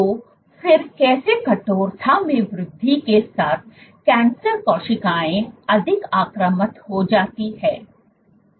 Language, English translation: Hindi, So, how then with increase in stiffness how do cancer cells become more invasive